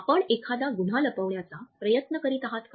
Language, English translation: Marathi, Are you trying to cover up a crime